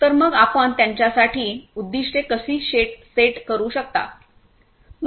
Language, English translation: Marathi, So, how you can set the objectives for them